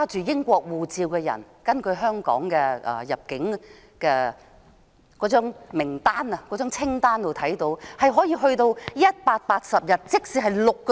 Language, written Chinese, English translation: Cantonese, 根據香港的入境慣例，所有持英國護照的人可獲簽證180天，即6個月。, According to the immigration practice of Hong Kong all British passport holders are permitted to stay for a period of 180 days that is six months